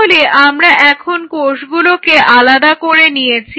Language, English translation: Bengali, Now once you separate the cells now you have to pull them out